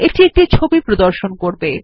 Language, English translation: Bengali, This will display an image